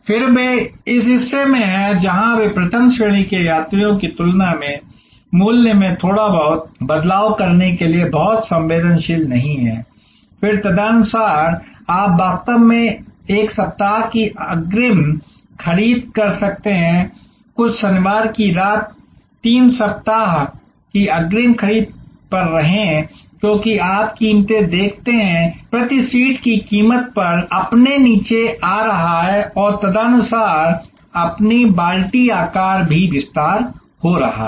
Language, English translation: Hindi, Again they are in this part, where they are not very sensitive to price change little bit more than the first class travelers, then accordingly you can actually have a one week advance purchase with some Saturday night stay over 3 week advance purchase as you see prices as coming down your coming down on the price per seat and accordingly your bucket size is also expanding